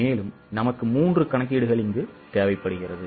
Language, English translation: Tamil, So, these 3 calculations are required